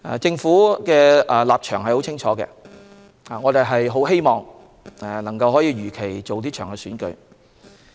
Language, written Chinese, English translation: Cantonese, 政府的立場十分清晰，我們很希望能夠如期辦好這場選舉。, The stance of the Government is clear enough we really hope that the Election can be held as scheduled